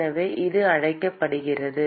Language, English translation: Tamil, So, it is called